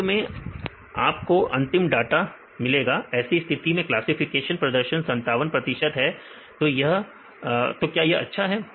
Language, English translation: Hindi, Finally you can get the final data this case the classification performance is 57 percentage; this is good